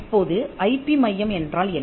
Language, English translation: Tamil, Now, what is an IP centre